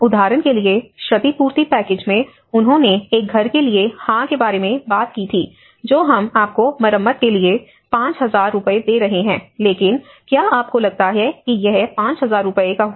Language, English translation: Hindi, Like for example, in the compensation package, they talked about yes for a house we are giving you 5000 rupees for the repair but do you think it will cost 5000 rupees